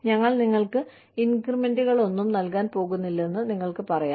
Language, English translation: Malayalam, You can say, we are not going to give you, any increments